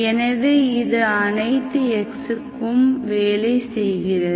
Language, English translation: Tamil, So that means it works for all x